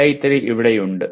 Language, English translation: Malayalam, AI3 is here